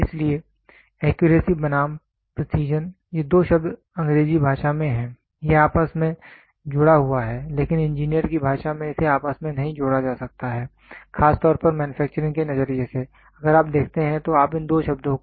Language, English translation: Hindi, So, accuracy versus precision, these 2 terms are in English language it is interchanged, but in engineer’s language it cannot be interchanged that to especially from the manufacturing perspective if you look at you cannot interchange these 2 words